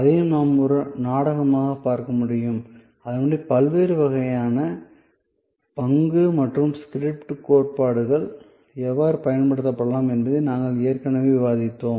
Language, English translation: Tamil, So, it can also we seen therefore as a drama and accordingly we have already discussed that how the different types of role and script theories can be applied